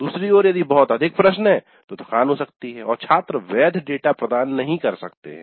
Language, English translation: Hindi, On the other hand, if there are too many questions, fatigue may sit in and students may not provide valid data